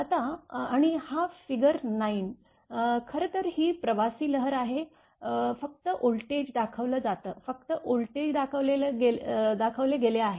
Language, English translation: Marathi, Now, and this figure 9 is actually this is actually traveling wave only voltage is shown right, only voltage is shown